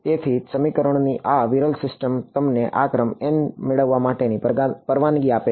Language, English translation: Gujarati, So, this sparse system of equations is what allows you to get this order n